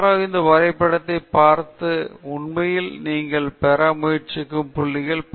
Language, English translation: Tamil, So, somebody looking at this graph can really get many of the points that you are trying to convey